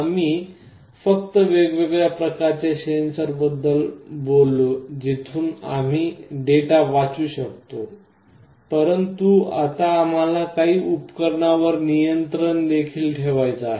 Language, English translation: Marathi, We only talked about different kind of sensors from where we can read the data, but now we want to also control some devices